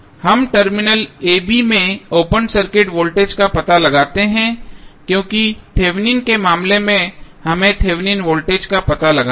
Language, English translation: Hindi, We find out the open circuit voltage across the terminal a, b because in case of Thevenin voltage Thevenin what we have to find out